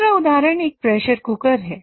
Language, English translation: Hindi, The other example is a pressure cooker